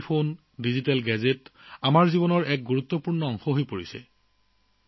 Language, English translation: Assamese, Mobile phones and digital gadgets have become an important part of everyone's life